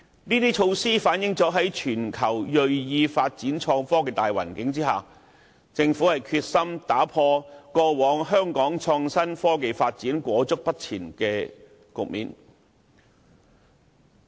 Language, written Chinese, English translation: Cantonese, 這些措施均反映政府在全球銳意發展創科的大形勢下，決心打破過往香港創新科技發展停滯不前的局面。, All these measures show that at this very time when the vigorous development of IT has become a world trend the Government is determined to end the stagnation of IT development in Hong Kong